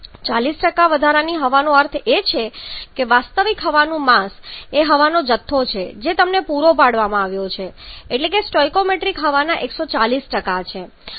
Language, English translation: Gujarati, 40% excess air means the mass of actual air is the amount of air that you have been supplied that is 140% of the stoichiometric air 140% or 1